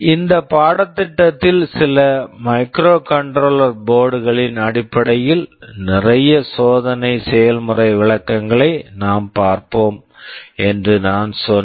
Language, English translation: Tamil, As I said that in this course we shall be looking at a lot of experimental demonstrations based on some microcontroller boards